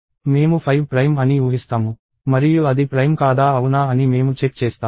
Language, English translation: Telugu, I will assume that 5 is prime and then I will check whether it is prime or not